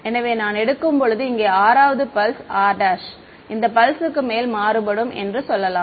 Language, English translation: Tamil, So, when I take let us say the 6th pulse over here r prime varies over this pulse